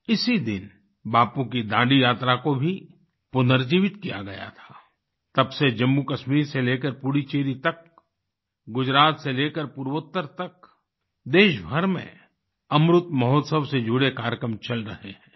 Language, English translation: Hindi, On this very day, Bapu's Dandi Yatra too was revived…since then, from JammuKashmir to Puduchery; from Gujarat to the Northeast, programmes in connection with Amrit Mahotsav are being held across the country